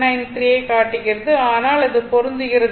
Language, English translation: Tamil, 793, but it just match right